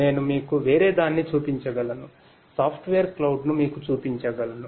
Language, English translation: Telugu, We can I can show you something else, I can show you the software cloud